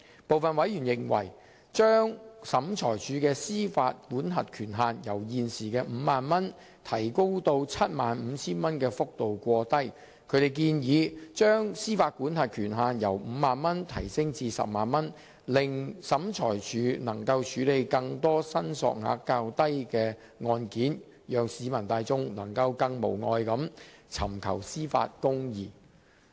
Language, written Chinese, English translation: Cantonese, 部分委員認為把審裁處的司法管轄權限由現時的 50,000 元提高至 75,000 元的幅度過低，他們建議把司法管轄權限由 50,000 元提高至 100,000 元，令審裁處能夠處理更多申索額較低的案件，讓市民大眾能夠更無礙地尋求司法公義。, Some members were of the view that the proposed increase in SCTs jurisdictional limit from 50,000 at present to 75,000 was minimal and suggested increasing the limit from 50,000 to 100,000 which would allow SCT to handle more cases with lower claim amounts . This would in turn help further enhance access to justice